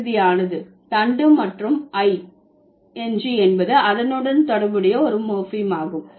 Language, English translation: Tamil, So finalize is the stem and I N G is the morphem associated with it